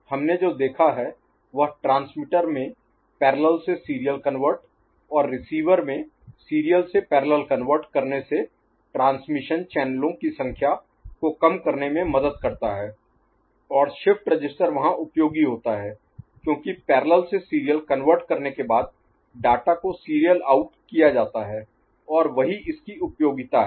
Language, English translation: Hindi, What we have seen is that parallel to serial conversion at transmitter end, serial to parallel conversion at receiver end help in reducing number of transmission channels and shift register comes useful there because after parallel to serial conversion then the data is made serially out and their lies its utility